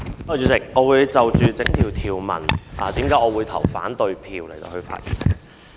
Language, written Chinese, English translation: Cantonese, 主席，我會就反對條文的理由發言。, President I speak in opposition to the Bill